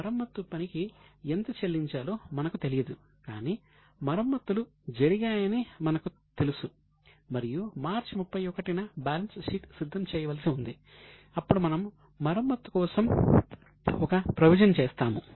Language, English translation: Telugu, So, we don't know the charges but we know that repairs has been done and we are required to prepare a balance sheet on say 31st of March